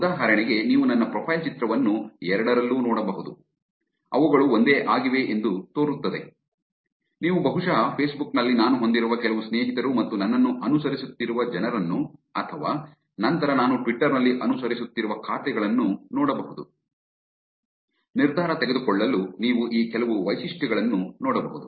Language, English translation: Kannada, For example, you can look at my profile picture in both, they seem to be the same thing, you can look at probably some friends that I have on Facebook and people who are following me or the accounts that I am following on Twitter, you can look at some of these features to make the decision